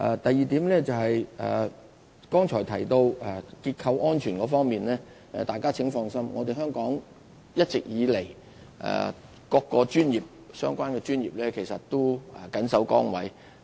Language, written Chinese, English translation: Cantonese, 第二，關於剛才提到的結構安全問題，請大家放心，香港各個相關專業的人員一直以來都緊守崗位。, Secondly as for the concerns expressed about structural safety Members can rest assure that practitioners of various related professions in Hong Kong have all along been performing their duties diligently